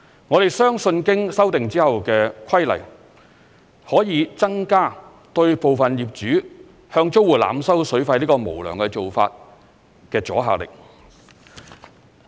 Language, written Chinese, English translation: Cantonese, 我們相信經修訂後的規例可以增加對部分業主向租戶濫收水費這無良做法的阻嚇力。, We believe that the amendment of the regulations can increase deterrence against overcharging for the use of water by unscrupulous landlords